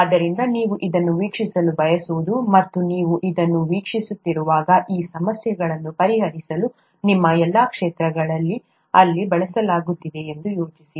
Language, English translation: Kannada, So you may want to watch this, and while you are watching this, think of what all fields of yours are being used here to solve these problems